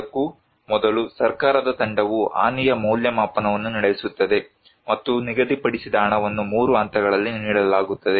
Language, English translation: Kannada, Before that, there will be a damage assessment carried out by a team of government, and the allocated money will be given in 3 phases